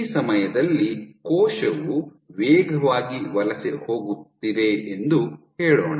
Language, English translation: Kannada, So, at this point let us say the cell is migrating fast